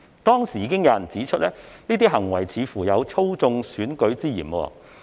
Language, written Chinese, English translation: Cantonese, 當時已經有人指出，這些行為似乎有操縱選舉之嫌。, At that time there were already queries about whether their withdrawal constituted election manipulation